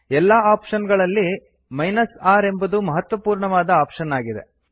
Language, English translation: Kannada, Among the options R is an important one